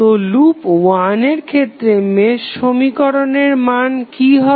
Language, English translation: Bengali, So, what would be the value of the mesh equation in case of loop 1